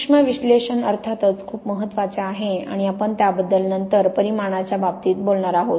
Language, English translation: Marathi, Microanalysis of course is very important and we are going to talk about that later in terms of quantification